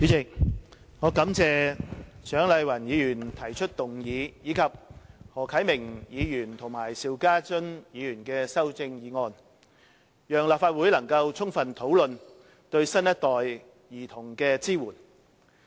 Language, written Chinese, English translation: Cantonese, 主席，我感謝蔣麗芸議員提出議案，以及何啟明議員提出修正案，讓立法會能夠充分討論對新一代兒童的支援。, President I thank Dr CHIANG Lai - wan for proposing the motion and Mr HO Kai - ming for proposing an amendment for they have enabled the Legislative Council to thoroughly discuss the support for children of the new generation